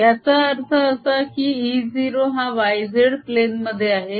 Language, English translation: Marathi, this means e zero is in the y z plane